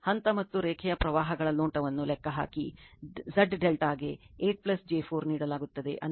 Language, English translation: Kannada, Calculate the phase and line currents look, Z delta is given 8 plus j 4, that is 8